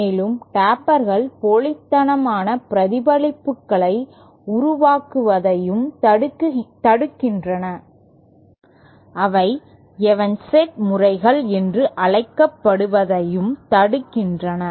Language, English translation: Tamil, And tapers also prevent the formation of spurious reflections; they also prevent the formation of what are called evanescent modes